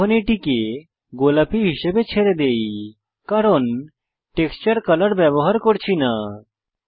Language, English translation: Bengali, For now, lets leave it as pink because we are not using the texture color